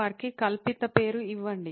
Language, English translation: Telugu, Give them a fictional name